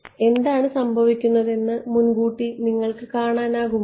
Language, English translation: Malayalam, So, can you anticipate what will happen